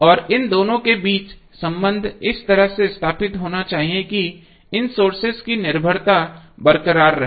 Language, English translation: Hindi, And the relationship these two should be stabilize in such a way that the dependency of these sources is intact